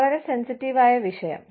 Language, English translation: Malayalam, Very sensitive topic